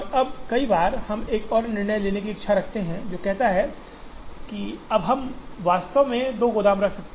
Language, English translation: Hindi, Now, there are times we wish to make another decision which says, now can we actually have two warehouses